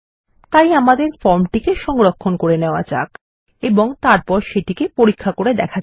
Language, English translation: Bengali, So let us save the form design and test it